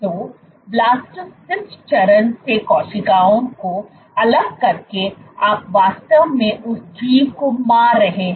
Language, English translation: Hindi, So, by isolating cells from the blastocyst stage you are actually killing that organism